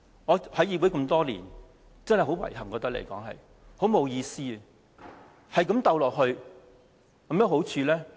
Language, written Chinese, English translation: Cantonese, 我加入議會多年，真的覺得很遺憾、沒意思，一直鬥爭下去，有甚麼好處？, I have been in this Council for many years and I really find the ongoing rivalries and contentions regretful and meaningless . Will they bring any advantages to us?